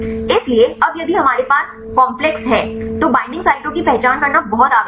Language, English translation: Hindi, So, now if we have the complex it is very essential to identify the binding sites right